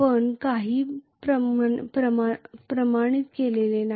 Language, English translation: Marathi, We have not quantified anything